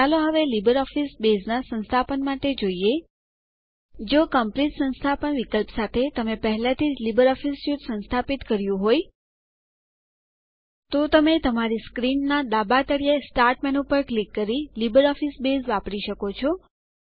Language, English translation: Gujarati, Let us now look at LibreOffice Base installation: If you have already installed LibreOffice Suite with the complete installation option, Then, you can access LibreOffice Base, by clicking on the Start menu at the bottom left of your screen